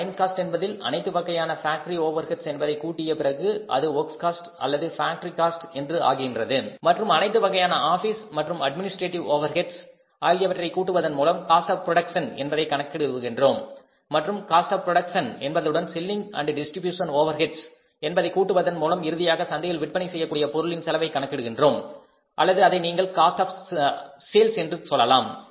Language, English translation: Tamil, Second cost is the works cost when in the prime cost you add up all factory overheads then it becomes the works cost or the factory cost and then when we add all office and administrative overheads then we calculate the cost of production and then we calculate add up the selling and distribution overheads in the cost of production then finally we say arrive at the cost of the product to be sold in the market or you can call it as cost of sales